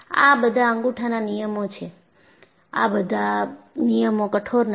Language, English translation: Gujarati, These are all Thumb Rules; these are all not rigid rules